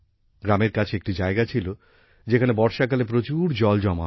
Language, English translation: Bengali, There was a place near the village where a lot of water used to accumulate during monsoon